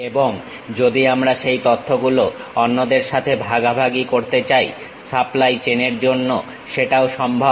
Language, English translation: Bengali, And, further if we want to share that information with others that can be also possible for the supply chain